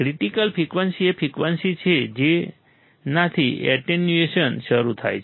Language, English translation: Gujarati, Critical frequency is the frequency at which the attenuation starts